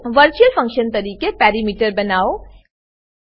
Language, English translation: Gujarati, Create perimeter as a Virtual function